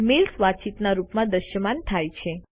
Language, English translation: Gujarati, The mails are displayed as a conversation